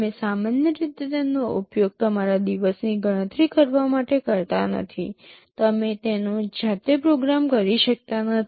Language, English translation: Gujarati, You normally do not use it for your day to day computation, you cannot program it yourself